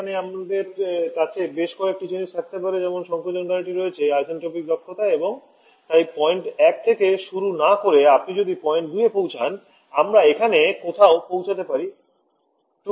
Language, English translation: Bengali, Here, we can have several things like the compressor can have isentropic efficiencies and therefore instead of starting from point 1 is you have reaching point 2 we may reach somewhere here 2 Prime